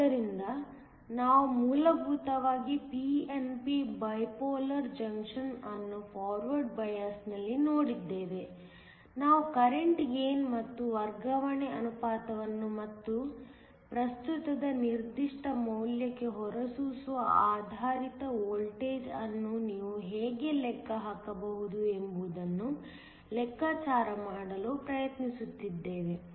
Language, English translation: Kannada, So, we essentially looked at p n p bipolar junction in forward biased; we tried to calculate the current gain and also the transfer ratio, and how you can calculate the emitter based voltage for a given value of the current